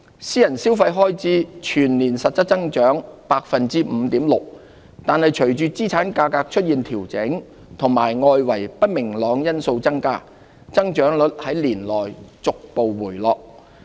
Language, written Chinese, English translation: Cantonese, 私人消費開支全年實質增長 5.6%， 但隨着資產價格出現調整及外圍不明朗因素增加，增長率在年內逐步回落。, Private consumption expenditure grew by 5.6 % in real terms for the year but slowed down through the year amid adjustments in asset prices and increasing external uncertainties